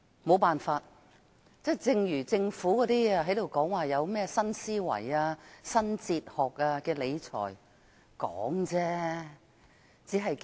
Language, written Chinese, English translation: Cantonese, 沒辦法，正如政府談論新思維、理財新哲學，全都是空談。, We can do nothing . Like the Governments talk about new thinking and new fiscal philosophy it is all empty talk